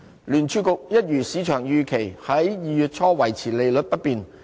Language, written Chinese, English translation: Cantonese, 聯儲局一如市場預期，在2月初維持利率不變。, As expected by the market the Federal Reserve opted to leave interest rates unchanged in early February